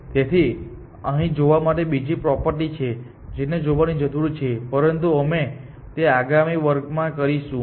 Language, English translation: Gujarati, So, there is one more property which needs to be looked at, but we will do that in next class